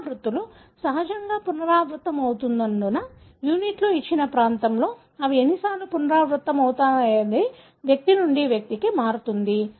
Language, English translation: Telugu, Because the repeats are tandemly repeated, the units, the number of times they are repeated in a given region varies from individual to individual